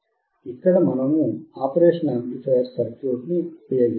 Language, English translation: Telugu, Here we are using operational amplifier